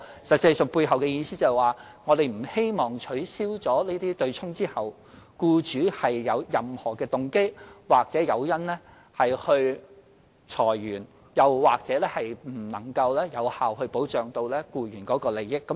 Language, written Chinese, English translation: Cantonese, 實際上，背後意思就是說，我們不希望在取消"對沖"安排後，僱主有任何動機或誘因裁員，又或令僱員的利益得不到有效保障。, In fact the underlying meaning of this is to ensure that employers will not have any motivation or incentive to lay off their staff or do anything that will deprive employees of effective protection of their rights and interests after the abolition of the offsetting arrangement